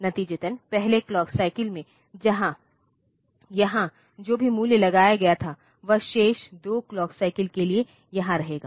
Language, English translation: Hindi, As a result, whatever value that was latched here in the first clock cycle it will they will remain here for the remaining 2 clock cycle